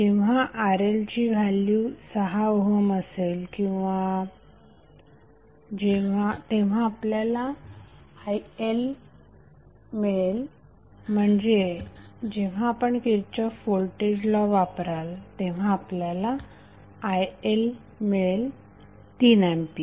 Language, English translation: Marathi, When RL is equal to 6 ohm you will simply get IL is nothing but you will simply apply Kirchhoff’s voltage law and you will get the value of current IL as 3A